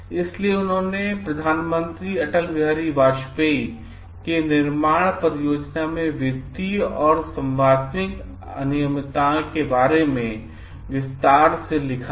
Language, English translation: Hindi, So, he had written to the Prime Minister Atal Bihari Vajpayee detailing the financial and contractual irregularities in the construction project